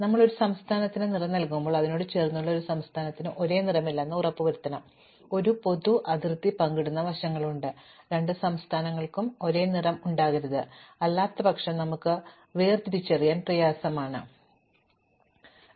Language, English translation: Malayalam, When we color a state, we must make sure that no state adjacent to it has the same color, no two states which are side by side that share a common boundary should have the same color, because otherwise it is difficult for us to distinguish one state from another